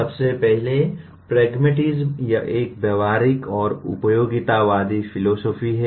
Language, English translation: Hindi, First of all, pragmatism, it is a practical and utilitarian philosophy